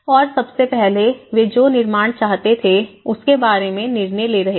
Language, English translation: Hindi, And first of all, making their own decisions about the construction they wanted